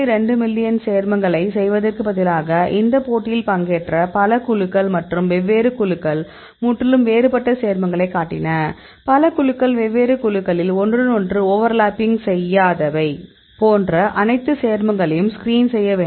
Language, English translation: Tamil, 2 million compounds; so in this competition; several groups they participated in this competition and different groups they showed the compounds which are totally different; not many compounds are overlapping in different groups